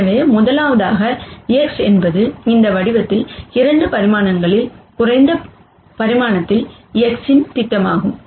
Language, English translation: Tamil, First, X hat is the projection of X onto lower dimension in this case 2 dimensions